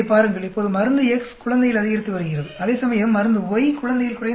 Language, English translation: Tamil, Now, in infant drug X is increasing, whereas drug Y is decreasing in infant